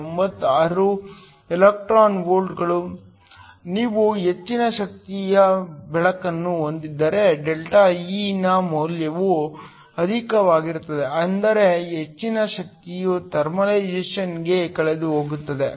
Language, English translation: Kannada, 96 electron volts, if you have a higher energy light the value of ΔE will be higher which means more amount of power will be essentially lost to thermalization